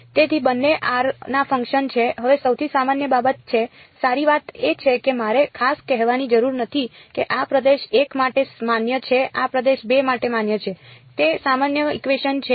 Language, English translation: Gujarati, So, both are functions of r now is the most general thing the good thing is that I do not have to specially say this is valid for region 1 this is valid for region 2 its a general equation